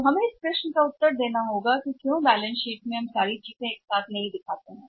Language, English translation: Hindi, So, we have to answer this question that is why in the balance sheet under the accounts receivable we do not show all the things together